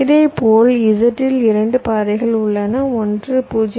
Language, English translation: Tamil, similarly, in z there are two paths